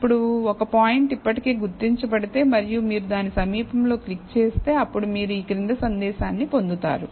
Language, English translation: Telugu, Now, if a point has already been identified and you still click near it, then you will get the following message